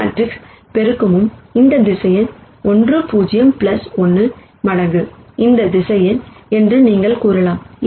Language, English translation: Tamil, You could say that this matrix multiplication is also one times this vector 1 0 plus 1 times this vector